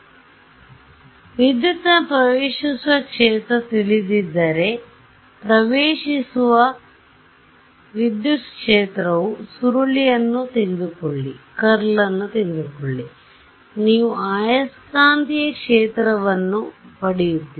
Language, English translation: Kannada, So, what, if I know incident field in the electric if I know the incident electric field take the curl you get the magnetic field right